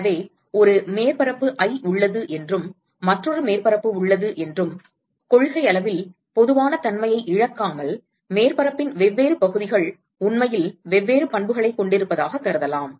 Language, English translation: Tamil, So, let us say that there is there is a surface i and, there is another surface and in principle, without loss of generality, we could assume that different parts of the surface are actually having different properties